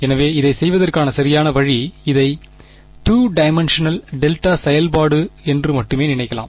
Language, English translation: Tamil, So, the correct way to do it would be just think of this as a two dimensional delta function right